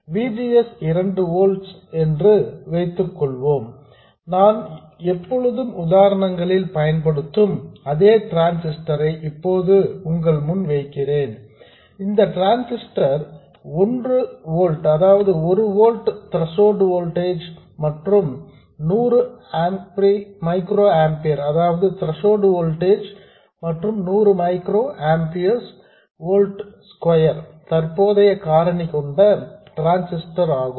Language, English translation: Tamil, By the way, I'm still assuming the same transistor that I've always been using in the examples, which is a transistor which has a threshold voltage of 1 volt and a current factor of 100 micro ampere per volt square